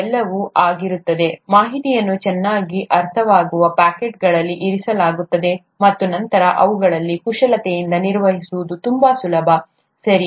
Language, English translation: Kannada, They’ll all be, the information will be put into nicely understandable packets, and then it becomes much easier to manipulate them, right